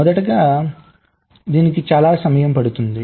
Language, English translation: Telugu, firstly, it takes lot of time